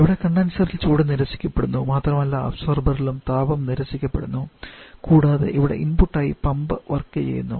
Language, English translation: Malayalam, From here heat is being rejected in the condenser and also heat is being rejected in the observer plus we are having the pump work as the input